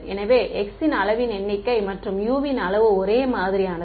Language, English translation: Tamil, So, the number of the size of x and the size of u is identical